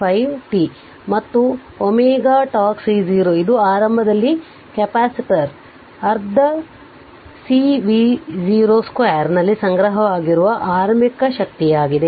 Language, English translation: Kannada, 5 t right and omega c 0 that is initially initial energy stored in the capacitor half C V 0 square